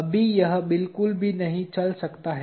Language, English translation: Hindi, Right now, it cannot move at all